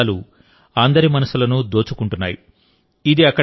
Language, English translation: Telugu, Now their beauty captivates everyone's mind